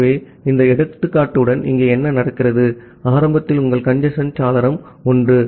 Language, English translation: Tamil, So, what happens here with this example, so initially your congestion window was 1